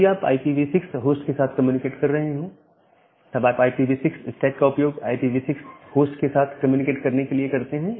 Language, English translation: Hindi, So, if you are communicating with the IPv4 machine, then you use the IPv4 stack, this part of the stack to communicate with the IPv4 machine